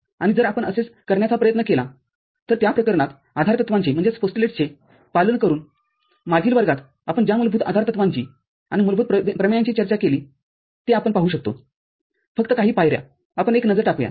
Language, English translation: Marathi, And if you try to do that, in this case, by following the postulates basic the postulates and basic theorems that we have discussed before in the last class, then we can see just few steps, let us have a look